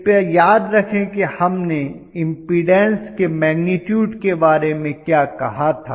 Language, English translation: Hindi, Please remember what we talked about the magnitude of the impedance right